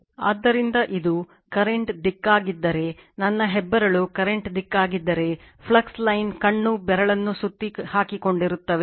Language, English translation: Kannada, So, if the if this is the direction of the current, if my thumb is the direction of the current, then flux line will be the curling this curling finger right